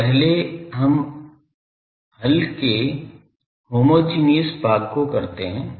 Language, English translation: Hindi, So, first we will doing the homogeneous part of the solution